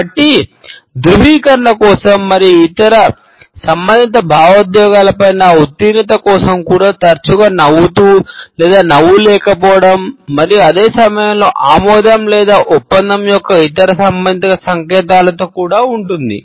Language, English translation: Telugu, So, this rhythmical queue for affirmation and for passing on other related emotions is also often accompanied by smiling or its absence and at the same time other related signs of approval or agreement